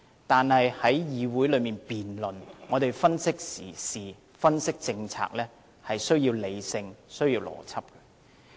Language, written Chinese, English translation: Cantonese, 但是，在議會內辯論，我們分析時事、分析政策，是需要理性和邏輯的。, However in a debate in the Council we need to be sensible and logical to analyse current affairs and policies